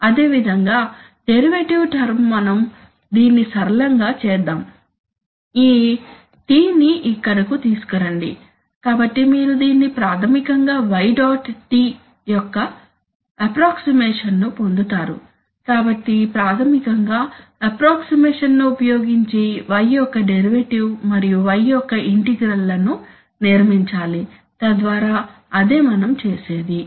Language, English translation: Telugu, Similarly the derivative term we make a simple, bring this T here, so then you get, this is a, this is a basically an approximation of y dot t, so basically I construct, I have to construct approximations of the derivative of y and integrals of y using samples so that is what we do